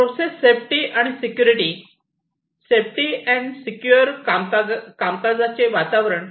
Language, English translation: Marathi, Process safety and security, here we are talking about safe and secure working environment